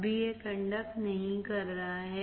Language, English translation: Hindi, Right now, it is not conducting